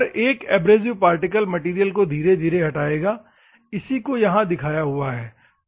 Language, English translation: Hindi, Each abrasive particle will remove the material gradually, that is what here shown